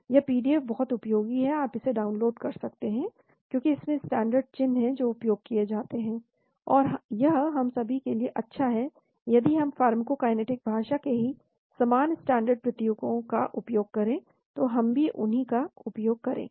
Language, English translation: Hindi, This PDF is very, very useful, you can download that because there are standard symbols which are used, and it is good for all of us to use the same standard symbols in pharmacokinetic speaking , so we will also use